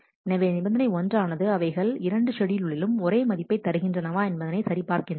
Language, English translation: Tamil, So, condition one checks that they must read the same value in both the schedule